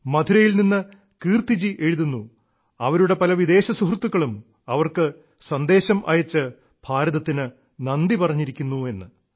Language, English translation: Malayalam, Kirti ji writes from Madurai that many of her foreign friends are messaging her thanking India